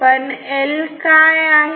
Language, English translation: Marathi, What is A